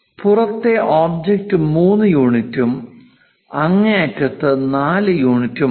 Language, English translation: Malayalam, The outside object, 3 units and the extreme one this is 4 units